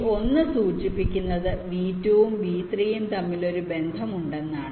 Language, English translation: Malayalam, this one indicates there is one connection between v two and v three, and so on